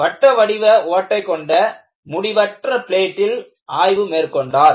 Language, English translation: Tamil, He solved the problem of an infinite plate with a small circular hole